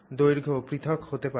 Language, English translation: Bengali, So, length can also vary